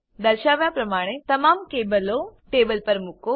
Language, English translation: Gujarati, Place all the cables on the table, as shown